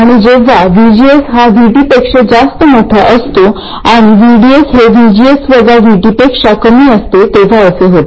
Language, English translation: Marathi, But all we need to know is that VGS has to be greater than VT for the transistor to be on and VDS has to be greater than VGS minus VT